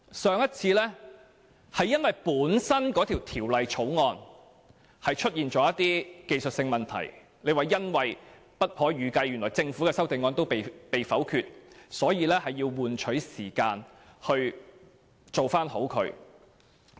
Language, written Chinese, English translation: Cantonese, 上次是因為法案本身出現了一些技術性問題，政府未有料到其修正案會被否決，以致需要一些時間處理技術性問題。, Last time the Government moved an adjournment motion to buy time for handling the technical problems of the original Bill as its CSA was unexpectedly voted down